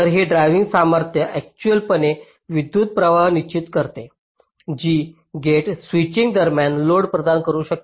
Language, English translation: Marathi, ok, so this drive strength actually determines the current which the gate can provide to the load during switching